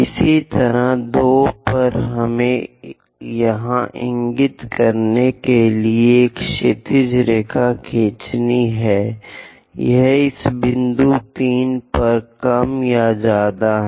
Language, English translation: Hindi, Similarly, at 2, we have to draw horizontal line to intersect; it is more or less at this point